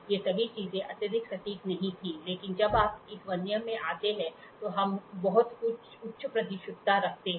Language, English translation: Hindi, All these things were not highly precision but moment when you come to this Vernier, we are having very high precision